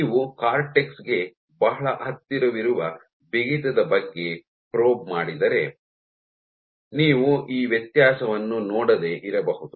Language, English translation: Kannada, So, if you probe the stiffness which is very close to the cortex, you may not see this difference